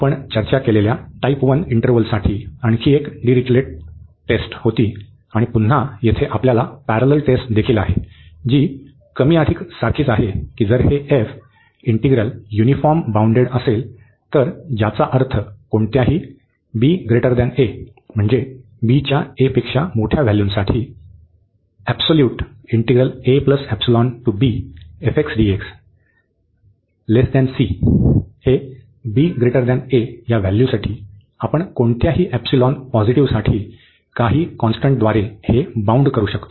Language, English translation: Marathi, There was another Dirichlet’s test for type 1 interval we have discussed, and again we have a parallel test here also, which is more or less the same that if this f integral is uniformly bounded that means for any b here greater than a, we can bound this by some constant for any epsilon positive